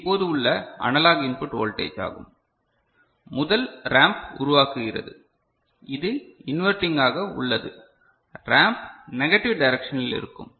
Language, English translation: Tamil, So, this is the analog input voltage right now the first the ramp is generated this part, this is inverting so, the ramp will be in the negative direction right